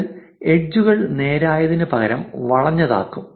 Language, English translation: Malayalam, This will make the edges curved instead of straight